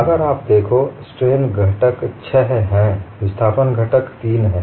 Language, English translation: Hindi, See if you look at, the strain components are six; the displacement components are three